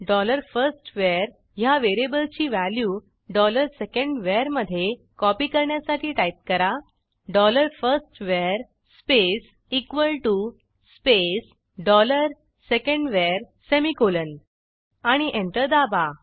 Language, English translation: Marathi, To copy the value of variable dollar firstVar to dollar secondVar, type dollar firstVar space equal to space dollar secondVar semicolon and press Enter